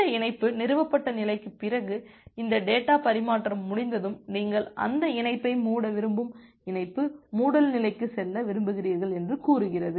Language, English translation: Tamil, And after this connection established state, then after this data transfer is over say you want to move to the connection closure state you want to close that connection